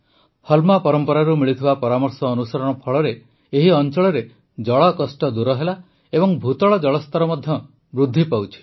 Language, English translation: Odia, Due to the suggestions received from the Halma tradition, the water crisis in this area has reduced and the ground water level is also increasing